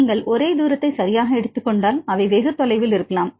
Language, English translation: Tamil, If you take the only the distance right, maybe they are very far